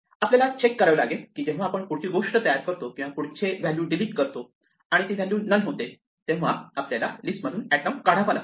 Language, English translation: Marathi, We have to just check when we create the next thing if we delete the next value and it is value becomes none then we should remove that item from the list